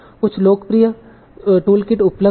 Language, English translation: Hindi, So there are some popular toolkits that are available